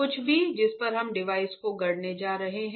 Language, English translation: Hindi, Anything on which we are going to fabricate the device right